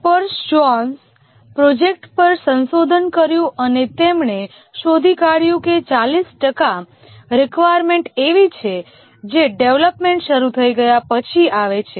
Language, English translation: Gujarati, Capers zones researched on 800, 8,000 projects and he found that 40% of the requirements were arrived when the development had already begun